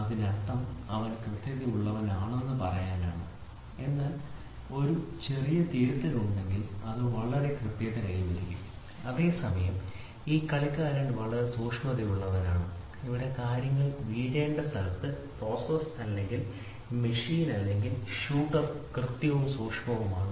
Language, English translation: Malayalam, So; that means to say he is precise, but if there is a small correction made then it becomes very accurate, whereas, this player is very accurate he exactly hits at the point where things have to fall here, the process or the machine or a shooter is precise and accurate